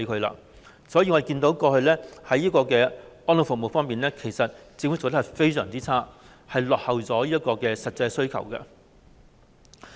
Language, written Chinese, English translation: Cantonese, 因此，我們看到政府過去在安老服務方面做得非常差，落後於實際需求。, Therefore we have seen that the Government has done very poorly in terms of elderly services in the past and lags behind the actual demand